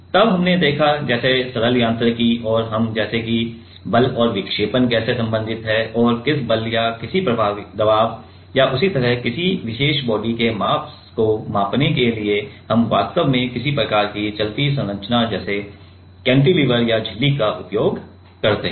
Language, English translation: Hindi, Then we have seen like the simple mechanics and we like how the force and deflection is related and for measuring a force or in any pressure or similar mass of some particular body then, we actually use some kind of moving structure like cantilever or membrane